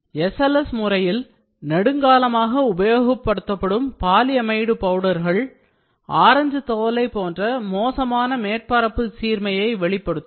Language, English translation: Tamil, The extensively used polyamide powder in SLS may lead to poor surface quality appearing as an orange peel surface